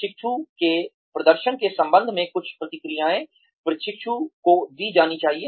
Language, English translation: Hindi, Some feedback needs to be given to the trainee, regarding the performance of the trainee